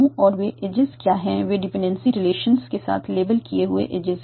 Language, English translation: Hindi, They are labeled edges with the dependency relations